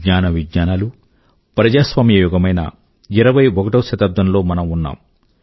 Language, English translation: Telugu, We live in the 21st century, that is the era of knowledge, science and democracy